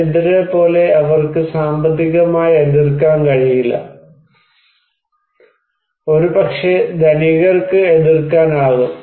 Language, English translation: Malayalam, Like poor people, they cannot resist financially, but maybe rich people can resist